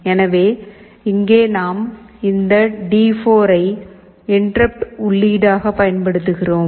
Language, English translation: Tamil, So, here we are using this D4 as an interrupt input